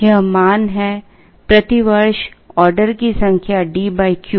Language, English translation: Hindi, This is the value the number of orders per year is D divided by Q